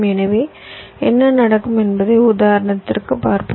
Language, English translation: Tamil, so let see for this example what will happen for this case